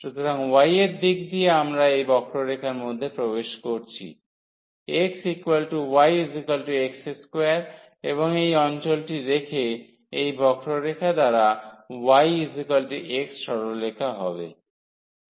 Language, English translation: Bengali, So, in the direction of y we are entering through this curve x is equal to y is equal to x square and leaving this area, by this curve y is equal to x the straight line